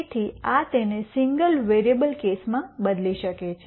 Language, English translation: Gujarati, So, this replaces this in the single variable case